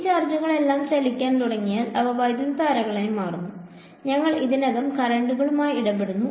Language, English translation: Malayalam, All of those charges once they start moving they become currents and we already dealing with currents